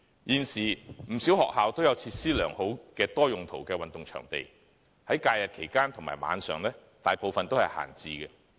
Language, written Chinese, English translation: Cantonese, 現時，不少學校均設有多用途運動場地，附設良好的設施，但在假日和晚上，大部分都是閒置的。, Currently quite many schools are equipped with multi - games pitches with good ancillary facilities . However these facilities are mostly left idle during holidays and at night